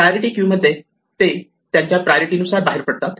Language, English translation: Marathi, In a priority queue, they leave according to their priority